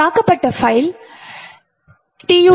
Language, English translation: Tamil, So, the file that was attacked was TUT2